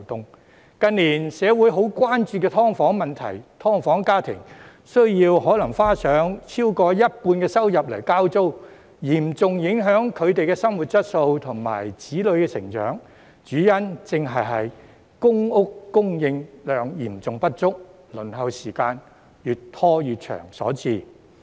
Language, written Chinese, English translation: Cantonese, 社會近年十分關注"劏房"問題，"劏房"家庭可能需花上超過一半收入交租，嚴重影響他們的生活質素和子女成長，主因正是公屋供應量嚴重不足，輪候時間越拖越長所致。, The recent years have seen grave concern about the problem of subdivided units in society . Households of subdivided units may have to spend over half of their income on rent and this has come to pose serious impacts on their living quality and childrens growth . The main reason for this is precisely the severe undersupply of public housing and the prolongation of waiting time